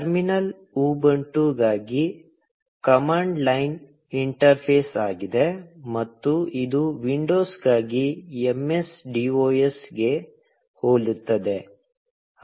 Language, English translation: Kannada, The terminal is a command line interface for Ubuntu, and it is very similar to MSDOS for windows